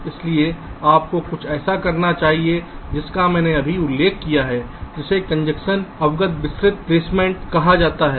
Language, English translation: Hindi, so you should do something which i just mentioned called congestion, are aware, detailed placement